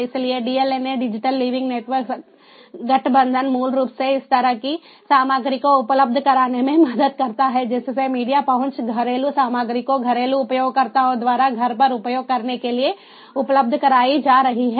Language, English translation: Hindi, so the dlna, digital living network alliance basically this helps in this kind of content being made available, the media reach, content being made available in domestic front: ah, ah for for, ah for use by the domestic users at home